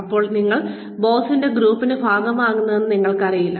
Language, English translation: Malayalam, When you will become a part of the, in group of the boss